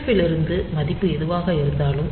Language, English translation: Tamil, So, from FF from whatever be the value